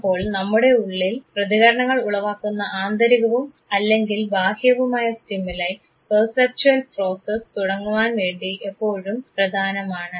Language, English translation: Malayalam, So, the internal or the external stimuli that evoke response in us, is always important for a perceptual process to begin